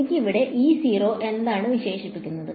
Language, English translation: Malayalam, What am I left with